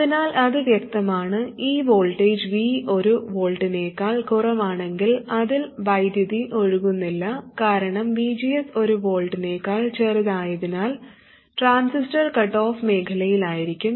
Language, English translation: Malayalam, So it's pretty obvious that if this voltage V is less than one volt, no current can flow because VGS is smaller than 1 volt and the transistor is cut off